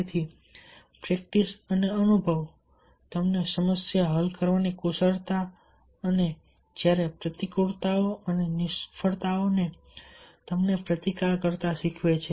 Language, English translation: Gujarati, so therefore, practice and experience teach you the new, the problem solving skills and your existence to adversities and failures